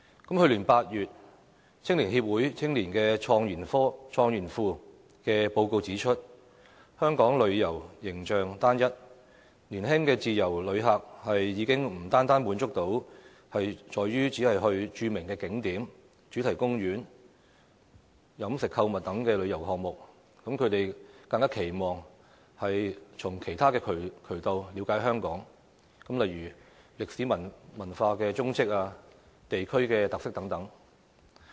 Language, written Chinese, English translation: Cantonese, 去年8月，香港青年協會青年創研庫的報告指出，香港旅遊形象單一，年輕自由旅客已不單滿足於著名景點、主題公園、飲食購物等旅遊項目，更期望從其他渠道了解香港，例如歷史文化蹤跡、地區特色等。, Last August a report issued by the Youth IDEAS . of the Hong Kong Federation of Youth Groups indicated that given the homogeneous image of Hong Kong in terms of tourism individual young tourists are no longer satisfied with visits to famous attractions and theme parks catering and shopping . They want to understand Hong Kong through other channels such as historical and cultural relics as well as district characteristics